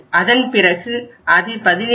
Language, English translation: Tamil, Then it is 17